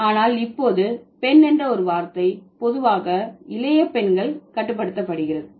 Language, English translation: Tamil, But now, girl as a word, it's generally restricted to the younger girls